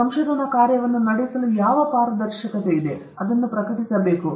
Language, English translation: Kannada, Transparency for what this research work is being conducted, it has to be published